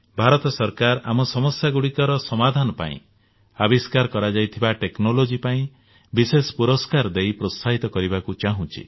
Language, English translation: Odia, The Government of India wants to specially reward technology developed to find solutions to our problems